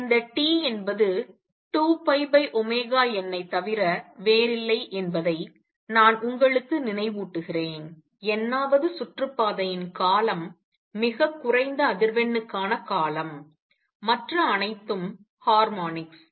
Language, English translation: Tamil, And let me remind you this T is nothing but 2 pi over omega n, the period for the nth orbit the for the lowest frequency all the other are the harmonics